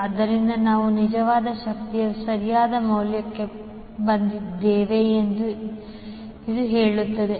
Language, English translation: Kannada, So this says that we have arrived at the correct value of real power